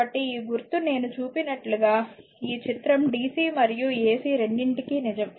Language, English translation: Telugu, So, this symbol this figure one is a true for both dc and ac I have told you right